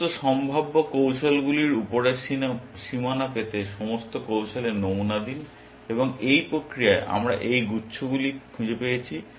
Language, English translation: Bengali, By sampling all strategies to get upper bounds on all possible strategies, and that in the process we found these clusters